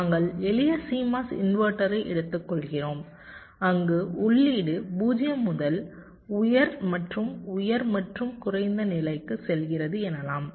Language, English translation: Tamil, ah, we take ah simple c mos inverter where you say that the input is going from zero to high and high and low